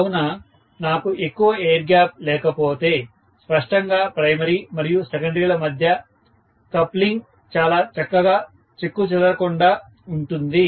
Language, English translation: Telugu, So, if I do not have much of air gap, obviously the coupling between the primary and the secondary has to be pretty much intact